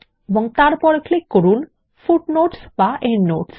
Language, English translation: Bengali, Then click on the Footnote/Endnote option